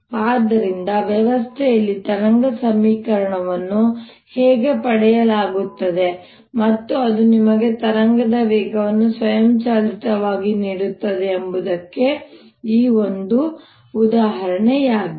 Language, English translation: Kannada, so this one example how wave equation is obtain in a system and that automatically gives you the speed of wave